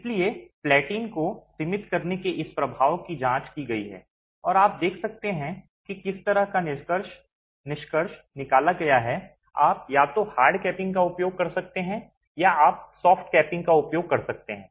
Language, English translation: Hindi, So, this effect of confining platin has been examined and you can see the kind of conclusion that has been drawn, you can either use a hard capping or you can use a soft capping